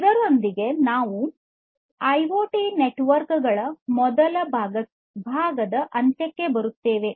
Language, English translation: Kannada, So, with this we come to an end of the first part of IoT networks